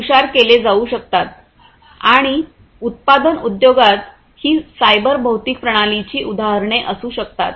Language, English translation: Marathi, In the industry, in general, manufacturing industries will use cyber physical systems